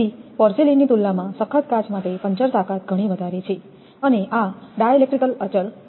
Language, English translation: Gujarati, So, puncture strength is much higher for the toughened glass compared to porcelain and dielectric constant this is 6